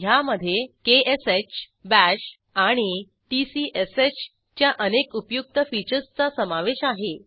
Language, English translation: Marathi, * It has many useful features of ksh,bash and tcsh